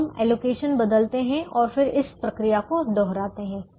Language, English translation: Hindi, so we change the allocations and then repeat this procedure